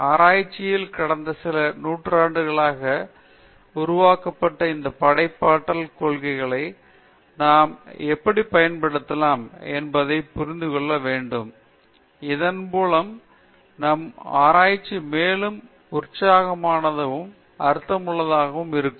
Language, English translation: Tamil, And in research, we will have to see how we can use these principles of creativity which have been developed for the past few centuries, so that we can make our research more exciting and meaningful alright